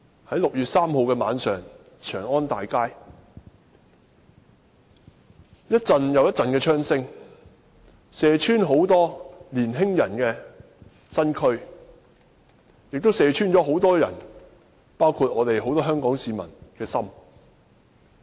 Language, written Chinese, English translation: Cantonese, 在6月3日晚上，長安大街響起一陣又一陣的槍聲，射穿眾多年青人的身軀，亦射穿了很多人，包括很多香港市民的心。, On the night of 3 June gun fires which shot through the body of many young people and broke the hearts of many including that of Hong Kong people sounded on Chang An Avenue